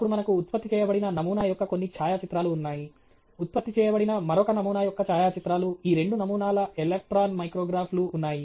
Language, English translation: Telugu, Then we have some photograph of a sample produced, photograph of another sample produced, electron micrographs of these two samples